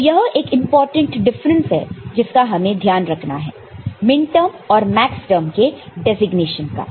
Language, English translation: Hindi, So, this is the difference important difference we have to take note of, between minterm and Maxterm designation